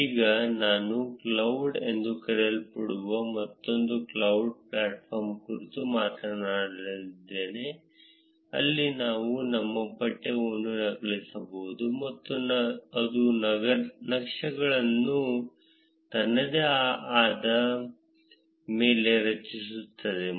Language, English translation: Kannada, Now I would speak about another cloud platform called as highcharts cloud, where we can just copy paste our text and it will create the charts on its own